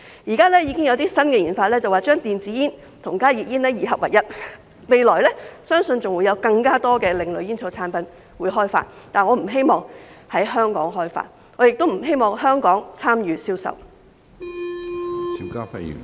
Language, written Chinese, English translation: Cantonese, 現在已經有些新研究將電子煙和加熱煙二合為一，相信未來會開發更多另類煙草產品，但我不希望在香港開發，我亦不希望香港參與銷售。, There are currently some new researches to combine e - cigarettes and HTPs into one product . I believe that more alternative tobacco products will be developed in the future . Nevertheless I do not hope that such products would be developed in Hong Kong nor do I hope that Hong Kong would be involved in their sale